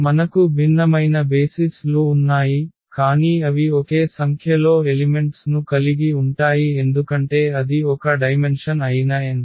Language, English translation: Telugu, So, whatever you have different different set of basis, but they will have the same number of elements because that is the n that is a dimension